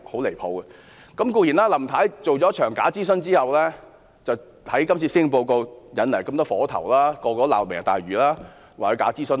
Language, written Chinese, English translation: Cantonese, 林太做了一場假諮詢後，在施政報告點起很多火頭，人人都罵"明日大嶼"，說她假諮詢。, Mrs LAM has conducted a fake consultation and raised quite a number of contentious issues in her Policy Address . People criticize Lantau Tomorrow and censure her for conducting a fake consultation